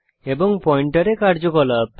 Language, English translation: Bengali, And operation on pointer